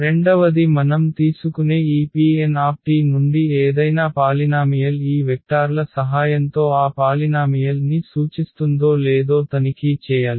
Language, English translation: Telugu, The second we have to check that any polynomial from this P n t we take can be represent that polynomial with the help of these vectors